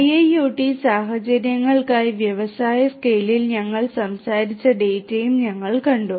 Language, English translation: Malayalam, We have also seen that the data that we talked about in industry scale for IIoT scenarios